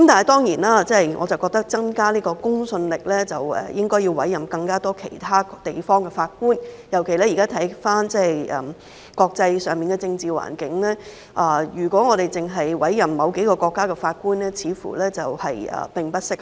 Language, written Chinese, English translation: Cantonese, 但是，我認為如要增加公信力，便應該委任更多其他地方的法官，尤其是觀乎現時的國際政治環境，如果我們只委任某幾個國家的法官，似乎並不適合。, In my view however to enhance credibility judges from more other places should be appointed . In particular in view of the present international political landscape it seems not appropriate if we only appoint judges from certain countries